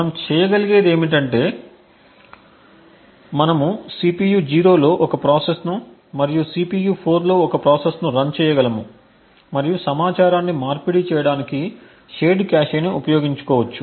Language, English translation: Telugu, What we would be able to do is we could run one process in the CPU 0 and one process in CPU 4 and make use of the shared cache to exchange information